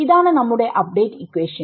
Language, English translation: Malayalam, So, this is our update equation